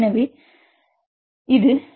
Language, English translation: Tamil, So, you can say this is 1